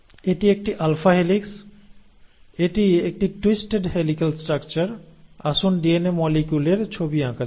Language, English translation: Bengali, It is an alpha helix, it is a twisted helical structure and; so let me draw DNA molecule